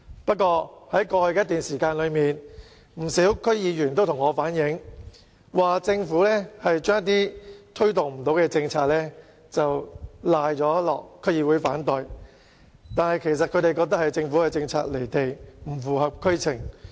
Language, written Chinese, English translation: Cantonese, 不過，在過去一段時間，不少區議員也向我反映，指政府把一些無法推動的政策，歸咎於區議會反對，但他們認為其實是政府的政策離地，不符合區情。, However for some time many DC members have reflected to me that the Government has put the blame of failure to implement some policies on DCs . However they believe this is actually attributable to the fact that the Governments policies are out of touch with reality or not compatible with the situation in the districts concerned . Let me give an example